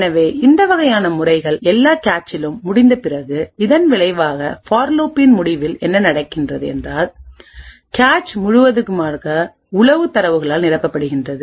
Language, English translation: Tamil, So, once this is done for all the cache sets what good result at the end of this for loop is that the entire cache is filled with spy data